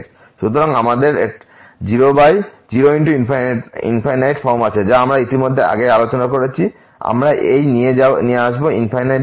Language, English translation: Bengali, So, we have 0 into infinity form which we have already discuss before so, we will bring into this infinity by infinity form